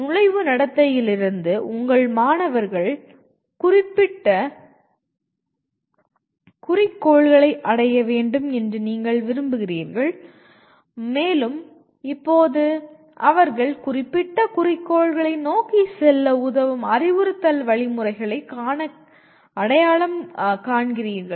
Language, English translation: Tamil, Then from the entering behavior you want your students to attain the stated objectives and you now identify instruction procedures that facilitate them to go towards the stated objectives